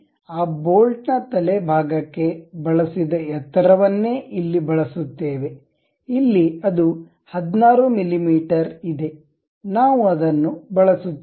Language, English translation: Kannada, We use same the head portion of that bolt whatever that height, we have the same 16 mm, we use it